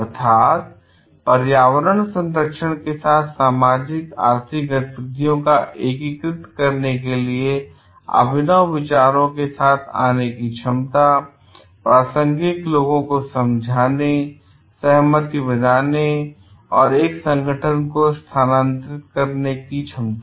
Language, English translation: Hindi, Means, ability to come up with innovative ideas for integrating socioeconomic activities with the environmental conservation, ability to convince relevant people build consensus and move an organization